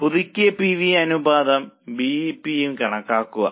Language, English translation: Malayalam, Compute the revised PV ratio and BEP